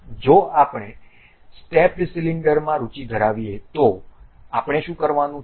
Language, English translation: Gujarati, If we are interested in stepped cylinder what we have to do